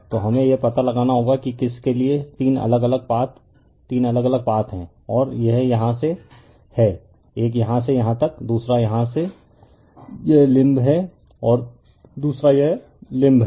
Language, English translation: Hindi, So, we have to find out you have to what you call you have that three different path right three different path and this is from here is; one from here to here, another is here this limb and another is this limb right